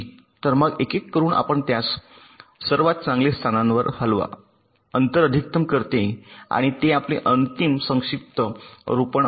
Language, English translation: Marathi, so one by one we you move it to the best location which maximizes the gap and that will be your final compacted layout